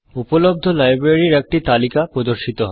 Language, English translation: Bengali, A list of available libraries appears